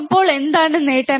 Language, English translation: Malayalam, So, what is the gain